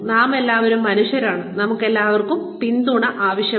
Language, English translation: Malayalam, We are all human beings, and we all need a pat on the back